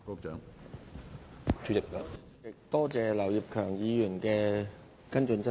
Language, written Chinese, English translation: Cantonese, 主席，多謝劉業強議員提出補充質詢。, President I thank Mr Kenneth LAU for his supplementary question